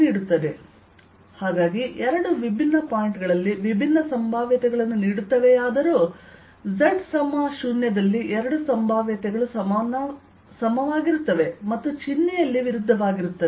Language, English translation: Kannada, so although the two give different potential at different points, but at z equals zero, the two potential are equal and opposite in sign and therefore at